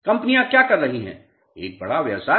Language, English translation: Hindi, What companies are doing is a big business